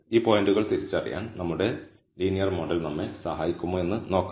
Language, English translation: Malayalam, Now let us see if our linear model will help us to identify these points